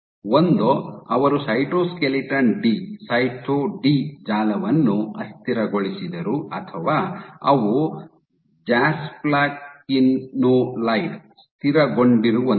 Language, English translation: Kannada, Either, they destabilized the affect in network which cytoskeleton D or they stabilized with jasplakinolide